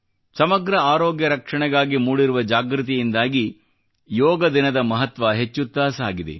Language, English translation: Kannada, The awareness about Holistic Health Care has enhanced the glory of yoga and Yoga day